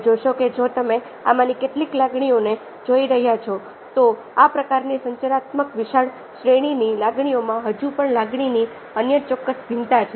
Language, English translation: Gujarati, you see that if you looking for some of these emotion, these ah, kind of communicative, wide arrive emotions, there are still other, certain variance of the emotions